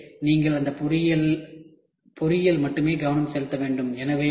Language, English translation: Tamil, So, you have to make it has to focus only engineering